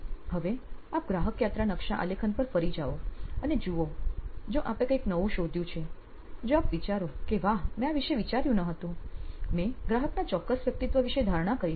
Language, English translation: Gujarati, Now, go back to your customer journey map and see if you have unearth something new some new insight that you think, “wow I did not think about this, I had assumed a certain persona of a customer